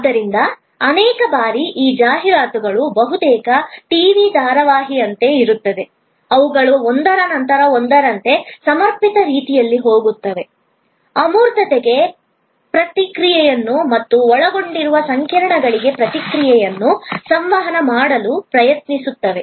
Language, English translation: Kannada, So, many times these ads actually are almost like a TV serial, they go one after the other in a linked manner, trying to communicate both response to abstractness as well as response to complexities that may be involved